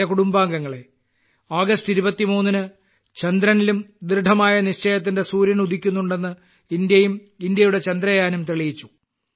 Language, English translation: Malayalam, My family members, on the 23rd of August, India and India's Chandrayaan have proved that some suns of resolve rise on the moon as well